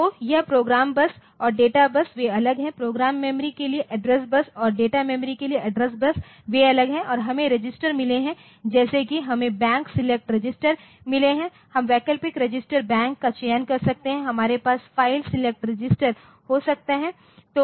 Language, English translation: Hindi, So, this program bus and data bus so, they are separate, the address bus so, for the program memory and address bus for data memory they are separate and we have got the registers like we have got the Bank select registers, we can select the alternate register Bank we can have file select register